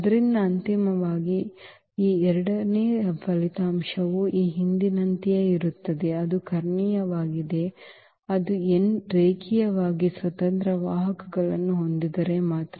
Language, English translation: Kannada, So, eventually this second result here is again the same as this previous one; that is diagonalizable, if and only if it has n linearly independent vectors